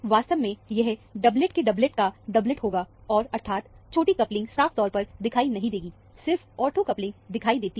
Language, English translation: Hindi, In fact, it would be a doublet of a doublet of a doublet, and that is, the small coupling is not very clearly seen; only the ortho coupling is seen